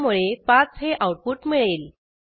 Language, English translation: Marathi, So, output will display 5